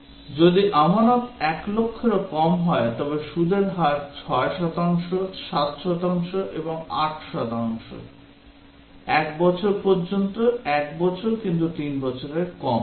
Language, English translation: Bengali, If deposit is for less than 1 lakh then the rate of interest is 6 percent, 7 percent, and 8 percent; up to 1 year, 1 year but less than 3 years